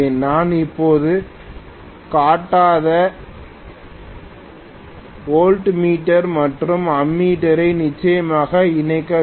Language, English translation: Tamil, I definitely have to connect a voltmeter and ammeter which I have not shown right now